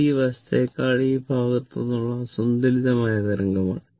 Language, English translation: Malayalam, It is unsymmetrical wave from this side than this side